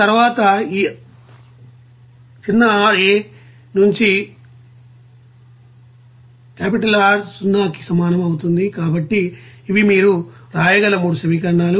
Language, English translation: Telugu, And then from this rA R that will be equals to 0, so these are 3 questions you can write